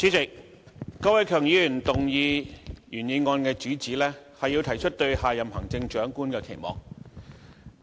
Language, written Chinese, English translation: Cantonese, 主席，郭偉强議員動議原議案的主旨，是要提出對下任行政長官的期望。, President the main theme of the original motion moved by Mr KWOK Wai - keung is to put forward expectations for the next Chief Executive